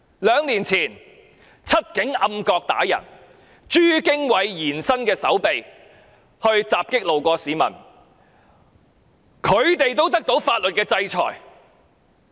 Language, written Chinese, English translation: Cantonese, 兩年前，"七警"在暗角毆打市民、朱經緯延伸的手臂襲擊路過的市民，他們也受到法律制裁。, Two years ago seven police officers beat up a member of the public in a dark corner whereas Franklin CHUs extended arm attacked a member of the public passing by and they were all sanctioned by the law